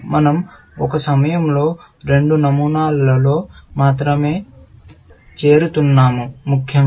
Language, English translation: Telugu, We are only joining two patterns at a time, essentially